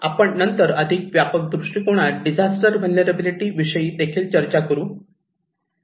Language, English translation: Marathi, We will later on also discuss about disaster vulnerability in a more broader perspective